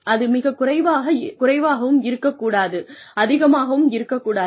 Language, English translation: Tamil, It has to be enough, not very little, not too much